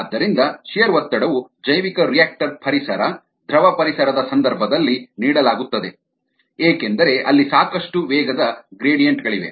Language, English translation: Kannada, so shear stress is a given in the case of bioreactor environment fluid environment, where there are a lot of velocity gradients